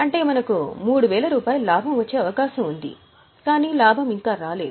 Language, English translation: Telugu, So, we have 3,000 rupees of profit, but the profit is still unrealized